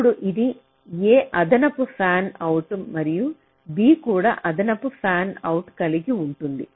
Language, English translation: Telugu, now this a will be having one additional and fanout b would also having additional fanout